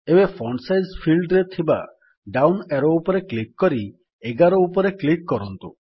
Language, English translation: Odia, Now click on the down arrow in the Font Size field and then click on 11